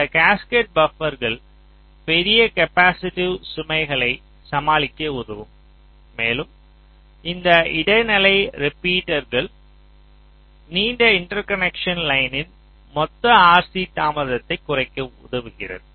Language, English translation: Tamil, so these cascaded buffers will help you in tackling the large capacitive loads and this intermediate repeaters help you in reducing the total r c delay of this long interconnection line, because this can be a long interconnect